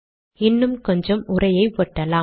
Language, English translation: Tamil, Let me put some more text here